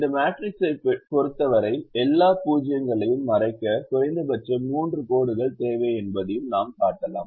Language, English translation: Tamil, we can also show that for this matrix we need minimum of three lines to cover all the zeros